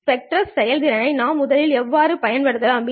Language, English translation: Tamil, How can we first improve the spectral efficiency